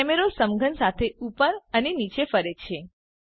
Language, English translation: Gujarati, The camera moves up and down alongwith the cube